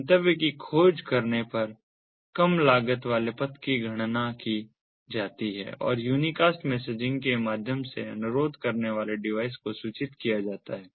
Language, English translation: Hindi, upon discovering of destination, a low cost path is calculated and is inform to the requesting device via the unicast messaging